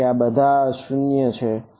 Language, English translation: Gujarati, So, these are all 0 outside